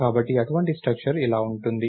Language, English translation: Telugu, So, such a structure would look like this